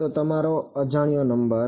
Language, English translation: Gujarati, So, your number of unknowns